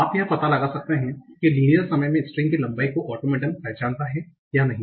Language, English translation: Hindi, So you can find out whether the automaton recognizes this string or not in linear time, linear in the length of the string